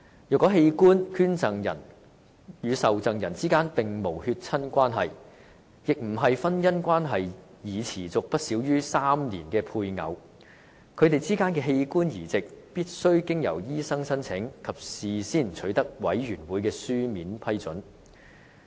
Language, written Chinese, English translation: Cantonese, 若器官捐贈人與受贈人之間並無血親關係，亦非婚姻關係已持續不少於3年的配偶，他們之間的器官移植，則必須經由醫生申請，以及事先取得委員會的書面批准。, If the organ donor and the recipient are not genetically related nor spouses whose marriage has subsisted for more than three years an application for the organ transplant between them must be submitted by a medical practitioner and the Boards written approval must be obtained in advance